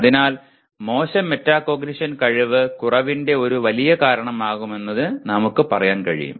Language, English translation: Malayalam, So we can in the end say poor metacognition is a big part of incompetence